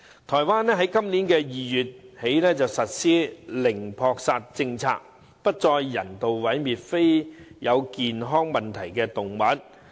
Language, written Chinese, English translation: Cantonese, 台灣今年2月起實施零撲殺政策，不再人道毀滅非有健康問題的動物。, Taiwan introduced a zero euthanasia policy in February this year and animals without health problems would no longer be euthanized